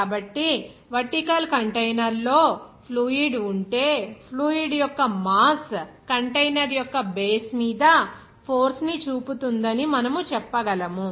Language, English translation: Telugu, So, we can say that if a vertical container contains a fluid, the mass of the fluid will exert a force on the base of the container